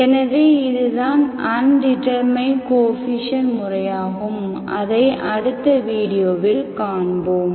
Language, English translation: Tamil, So that is a method of undetermined coefficients that we will see in the next video